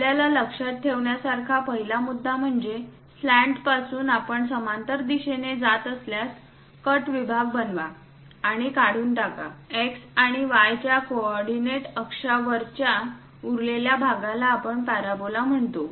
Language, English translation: Marathi, The first point what we have to remember is, from slant if we are going in a parallel direction, make a cut section, remove; the top portion the leftover portion on coordinate axis of x and y we see it as parabola